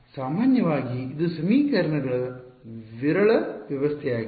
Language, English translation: Kannada, In general it is a sparse system of equations